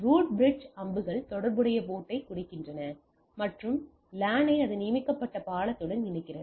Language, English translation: Tamil, Root bridge the arrows mark the corresponding port and connects the LAN to its designated bridge the using the designated port right